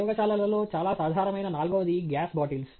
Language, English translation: Telugu, The fourth thing that is very common in the labs is the gas bottles